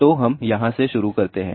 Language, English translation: Hindi, So, let us start from here